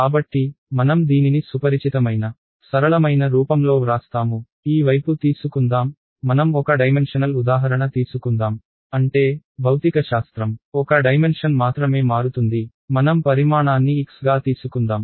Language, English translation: Telugu, So, we will write this in a familiar simpler form, let us this side say take let us take a one dimensional example; that means, the physics varies only in one dimension let us take the dimension to be x